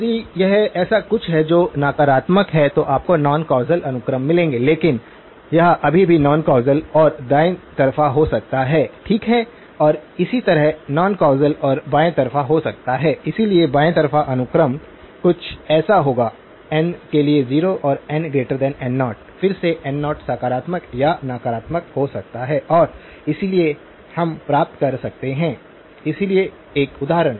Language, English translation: Hindi, If it is something that is negative then you will get non causal sequences but it still it can be non causal and right sided, okay and similarly, non causal and left sided so, a left sided sequence would be something that is 0 for n greater than n naught, again n naught can be positive or negative and therefore we can get, so one example